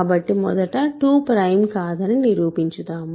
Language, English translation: Telugu, So, let us prove that first, 2 is not prime ok